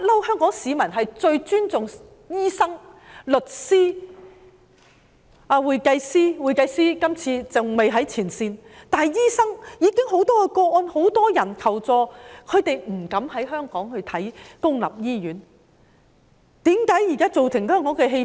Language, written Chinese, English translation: Cantonese, 香港市民一向非常尊重醫生、律師、會計師——會計師今次還未在前線——但關於醫生，我們最近收到很多求助個案，就是警務人員不敢到公立醫院看病。, Hong Kong people have long been most respectful of doctors lawyers and accountants―in this movement accountants have not gone to the front line yet―but as regards doctors we recently received many requests for assistance concerning police officers who dared not go to public hospitals for medical treatment